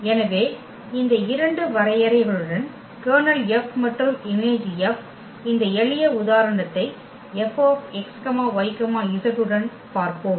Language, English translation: Tamil, So, with this 2 definitions the kernel F and the image F, we let us just look at this simple example with F x y z